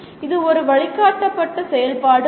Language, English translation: Tamil, It is not a guided activity